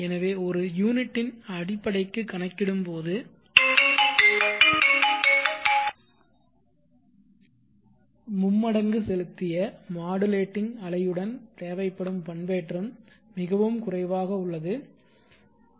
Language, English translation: Tamil, So for fundamental of one unit the modulation required with the tripling injecting modulating wave is much lower let say